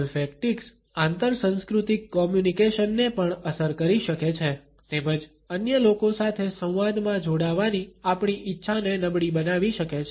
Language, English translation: Gujarati, Olfactics can also impact intercultural communication as well as can impair our willingness to be engaged in a dialogue with other people